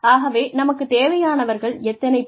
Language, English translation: Tamil, So, how many people, do we need